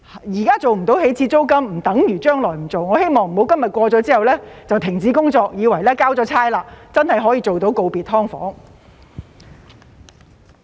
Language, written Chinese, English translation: Cantonese, 現在無法訂定起始租金，不等於將來不做，我希望政府不要今天通過條例之後，便停止工作，以為已經交差，真的可以做到告別"劏房"。, The fact that we cannot set an initial rent now does not mean that it cannot be done in the future . I hope the Government will not stop its work after the passage of the Bill today thinking that it has already done its job and can really bid farewell to SDUs